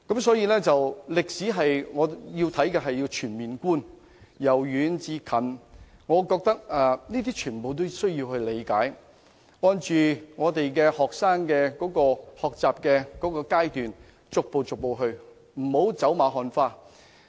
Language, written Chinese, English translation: Cantonese, 所以，我認為學習歷史應該作全面觀，由遠至近，全部歷史事件均需要理解，並按學生的學習階段逐步教授，不能走馬看花。, So I think students should study history in a holistic manner so that they can fully understand all historical events from ancient to contemporary times . Chinese History should be taught in a progressive manner during all stages of learning rather than in a fleeting or superficial manner